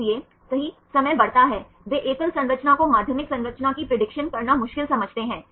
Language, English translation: Hindi, So, right the time grows, they think the single sequence difficult to predict the secondary structure